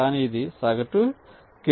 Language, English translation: Telugu, now, but this is the average case